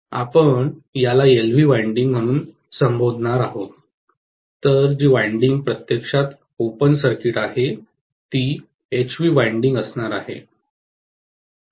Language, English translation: Marathi, We are going to call this as LV winding, whereas the winding which is actually open circuited, that is going to be HV winding, right